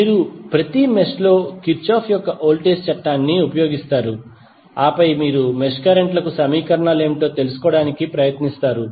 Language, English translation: Telugu, You will use Kirchhoff's voltage law in each mesh and then you will try to find out what would be the equations for those mesh currents